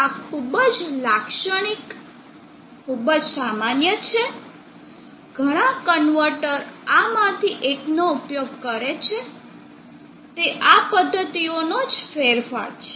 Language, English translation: Gujarati, So we shall look at these methods, these are very typical, very common many of the converters use one of these are modification of these methods